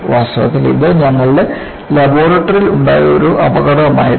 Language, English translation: Malayalam, In fact, this was an accident in our laboratory